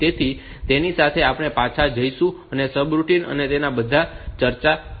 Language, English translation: Gujarati, So, with that we will go back and discuss on the subroutine and all